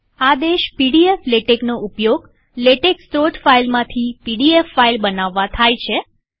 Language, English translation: Gujarati, The command pdf latex is used to create a pdf file from the latex source file